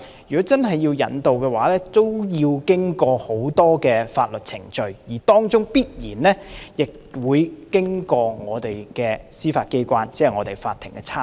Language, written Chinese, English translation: Cantonese, 如果真的要移交逃犯，需要經過很多法律程序，當中必然會經過我們的司法機關，即法庭的參與。, The actual surrender of a fugitive offender has to go through many legal procedures which will certainly involve our Judiciary ie . the courts